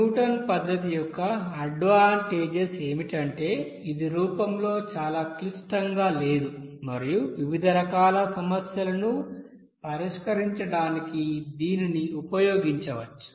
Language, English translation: Telugu, Advantages of Newton's method is that it is not too complicated in form and it can be used to solve a variety of, you know problems